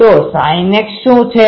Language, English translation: Gujarati, So, what is sin x